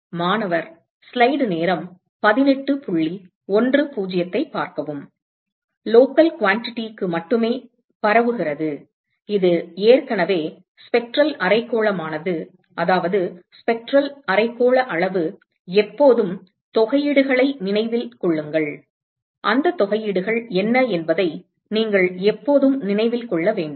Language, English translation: Tamil, Diffuses only for local quantity, this is already note that this is already spectral hemispherical that is the spectral hemispherical quantity, always keep in mind the integrals, you should always remember what those integrals are